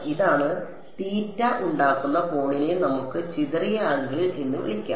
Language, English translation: Malayalam, This is the angle it makes theta s let us call it scattered angle